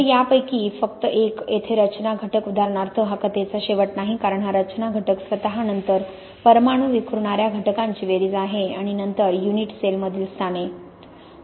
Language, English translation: Marathi, So just one of these, the structure factor here for example, this is not the end of the story because this structure factor itself is then the sum of the atomistic scattering factors and then the positions in the unit cell